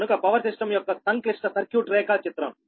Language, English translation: Telugu, so a complex circuit diagram of a power system